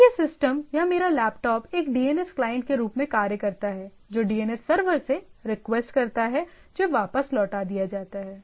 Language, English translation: Hindi, So I my system say by particular this system or my laptop acts as a primarily a it has a DNS client, which requests to the DNS server which is revert back